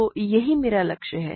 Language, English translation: Hindi, So, that is my goal